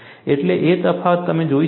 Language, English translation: Gujarati, So, that difference you will see